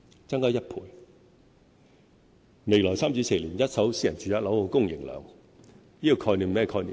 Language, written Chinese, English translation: Cantonese, 在未來3至4年，一手私人住宅樓宇的供應量......, Regarding the supply of first - hand residential properties in the coming three to four years and what is the concept?